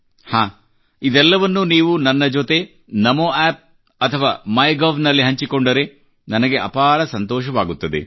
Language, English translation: Kannada, And yes, I would like it if you share all this with me on Namo App or MyGov